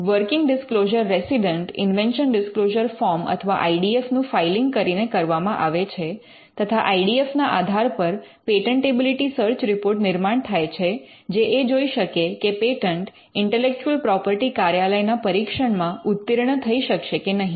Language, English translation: Gujarati, The first step will be to get a working disclosure something which we covered in last week's class and the working disclosure resident is done by filling an invention disclosure form or IDF and based on the IDF they can be a patentability search report that is generated to see whether the patent will stand the scrutiny of the intellectual property office